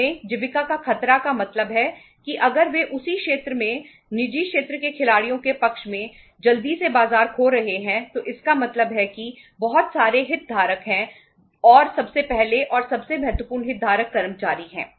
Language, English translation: Hindi, There is a risk of sustenance means if they are losing the market quickly in favour of the private sector players in the same sector so it means there are say so many stake holders and the first and the foremost stakeholders was the employees